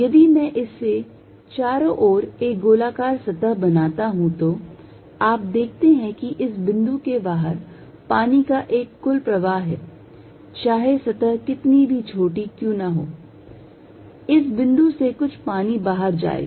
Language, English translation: Hindi, If I make a spherical surface around it you see there is an net flow or water outside at this point no matter how small the surface, this point there will be some water going out